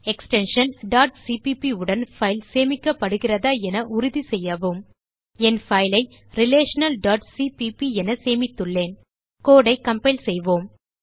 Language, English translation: Tamil, Please make sure the file is saved with the extension .cpp I have saved my file as relational.cpp Lets compile the code